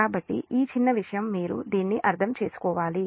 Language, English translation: Telugu, so this little bit thing you have to understand this one